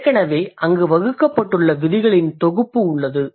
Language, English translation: Tamil, There is a set of rules which have already been laid out there